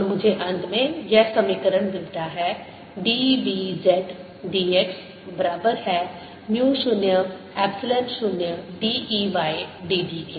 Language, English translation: Hindi, let us now apply the other equation which gives me curl of b is equal to mu, zero, epsilon, zero, d, e, d t